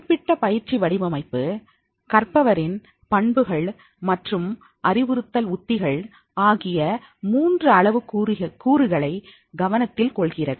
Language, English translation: Tamil, This particular designing of training is focusing on the three parameters, learners characteristics, training transfer and the instructional strategies